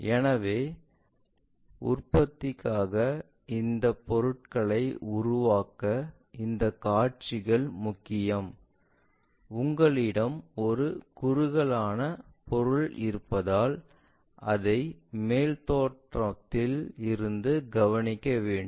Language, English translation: Tamil, So, for production, for manufacturing these views are very important to really construct these objects, because you have a tapered object you want to observe it from top view